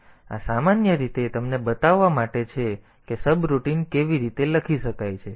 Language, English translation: Gujarati, So, this is typically to this is just to show you how the subroutines can be written